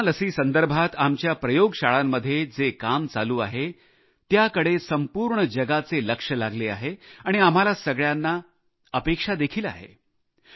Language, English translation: Marathi, Work being done in our labs on Corona vaccine is being keenly observed by the world and we are hopeful too